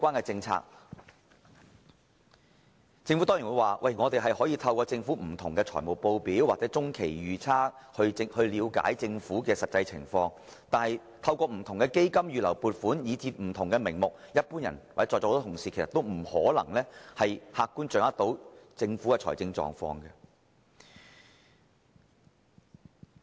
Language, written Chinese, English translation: Cantonese, 政府當然會說，大家可以透過不同的財務報表或中期預測了解政府的實際財政狀況。但是，由於存在不同的基金、預留撥款，甚至其他不同名目的儲備，一般人或在座很多同事都難以客觀地掌握政府的財政狀況。, The Government would certainly respond that people can learn more about its actual financial position from different financial statements or the Medium Range Forecast but given the existence of various funds reserved provisions and even reserves under different names it is difficult for ordinary people or most Honourable colleagues to objectively grasp the financial position of the Government